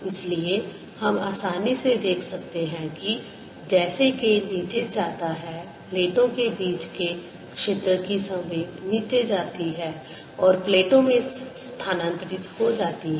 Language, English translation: Hindi, so we can easily see, as k goes down, the momentum of the field between the plates goes down and that is transferred to the plates